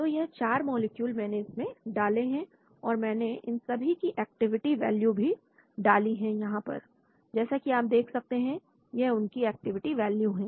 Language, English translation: Hindi, So 4 molecules I have loaded and I have also loaded their activity values also here as you can see here; these are the activity values